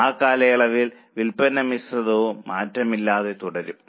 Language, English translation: Malayalam, Sales mix should also remain unchanged in that period